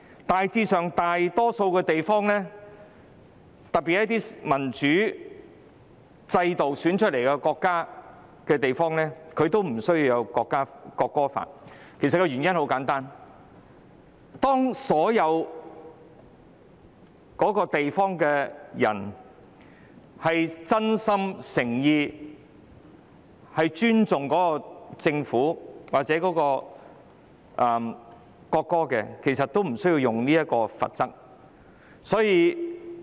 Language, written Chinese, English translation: Cantonese, 大致上，大多數地區，特別是設有民主選舉制度的國家或地區都不設國歌法，原因很簡單，當一個地區的人民真心誠意尊重政府或國歌，便無須使用任何罰則。, Generally speaking most regions especially countries or regions with a democratic election system do not have national anthem laws . The reason is simple When people truly and sincerely respect the Government or the national anthem there is no need to impose penalty